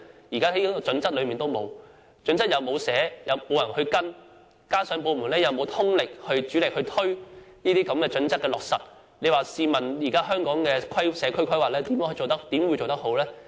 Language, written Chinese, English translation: Cantonese, 《規劃標準》沒有提出標準，又沒有人跟進，加上部門又沒有通力推行有關準則的落實，試問香港的社區規劃怎會做得好？, Since HKPSG provides no standard no one is taking any follow - up actions and the departments have not made concerted efforts to implement the guidelines concerned how can proper community planning be formulated for Hong Kong?